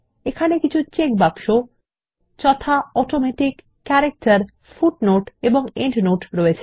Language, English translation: Bengali, There are checkboxes namely ,Automatic, Character, Footnote and Endnote